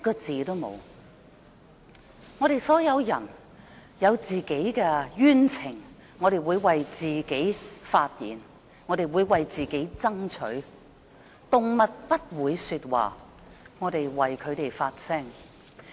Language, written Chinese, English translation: Cantonese, 我們所有人有冤情時會為自己發言爭取，但動物不會說話，我們要為牠們發聲。, We would all speak out to defend our rights when we feel aggrieved but animals cannot speak and we have to speak for them